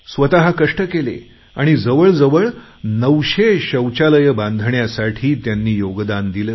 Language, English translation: Marathi, They themselves put in physical labour and contributed significantly in constructing around 9000 toilets